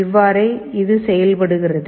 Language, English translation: Tamil, This is how it works